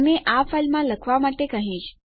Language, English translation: Gujarati, And Ill say to write this file